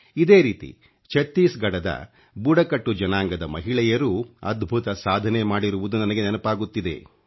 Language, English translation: Kannada, By the way, this also reminds me of tribal women of Chattisgarh, who have done something extraordinary and set a remarkable example